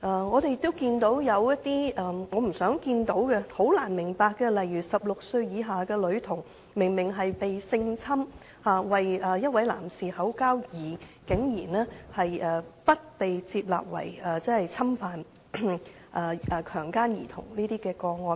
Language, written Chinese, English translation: Cantonese, 我們亦看到一些不想看到亦難以理解的個案，例如有16歲以下的女童明明遭性侵，為一名男士口交，但竟然不列作侵犯或強姦兒童的個案。, In the end her mother was sentenced heavily to 15 years of imprisonment . We have also seen some incomprehensible cases which we do not wish to see . For example a girl aged under 16 had obviously suffered sexual assault and performed oral sex for a man but surprisingly it was not filed as a case of a child being assaulted or raped